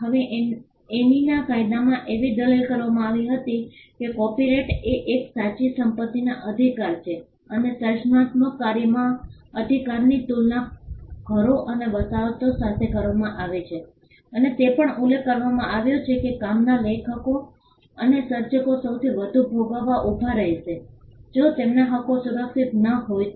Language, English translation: Gujarati, Now, in the statute of Anne it was argued that copyright was a true property right and the right in a creative work was compared to houses and estates and it was also mentioned that the authors or creators of the work would stand to suffer the most if their rights were not protected